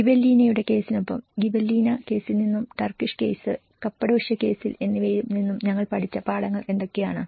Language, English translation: Malayalam, Along with the Gibellinaís case, what the lessons we have learned from Gibellina case and the Turkish case, Cappadocia case